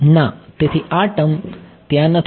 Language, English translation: Gujarati, So, this term is not there